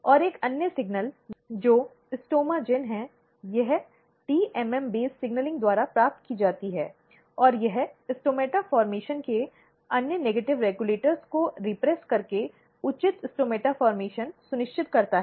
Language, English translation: Hindi, But another signaling which is STOMAGEN, it is received by TMM based signaling and this ensures proper stomata formation by repressing other negative regulators of the stomata formation